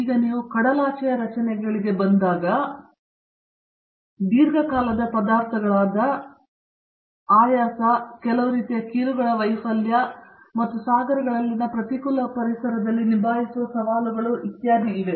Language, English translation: Kannada, Now, when you come to the offshore structures, etcetera, there are long terms problems such as fatigue, the failure of certain kinds of joints and the challenges of handling these in the hostile environment in the oceans